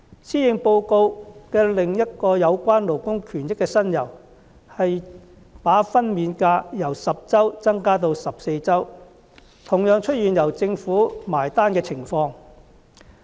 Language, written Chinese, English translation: Cantonese, 施政報告內另一有關勞工權益的新猷，是把法定產假由10周增加至14周，同樣出現由政府"埋單"的情況。, Another new initiative related to labour rights and interests in the Policy Address is the extension of the statutory maternity leave from 10 weeks to 14 weeks and the Government will also pick up the bill